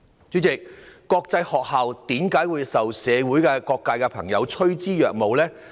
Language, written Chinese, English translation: Cantonese, 主席，國際學校為何會受社會各界朋友趨之若鶩呢？, President why are international schools so attractive among various strata of society?